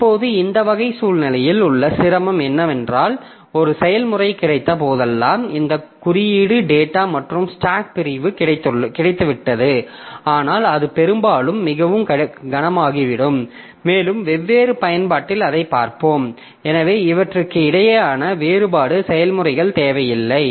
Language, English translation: Tamil, Now the difficulty with this type of situation is that whenever we have got a process means we have got this code data and stack segments, but that often becomes too heavy and we'll see that in different applications so that much distinction between these processes is not necessary